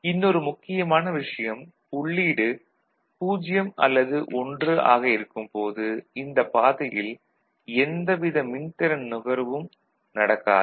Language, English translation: Tamil, The other important thing here there is the, you know, when it is either 0 or 1, no power consumption is there along this path